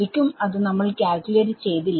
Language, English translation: Malayalam, I do not know it, but can I calculate it